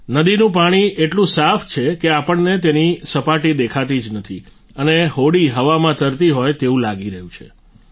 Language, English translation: Gujarati, The water of the river is so clear that we can see its bed and the boat seems to be floating in the air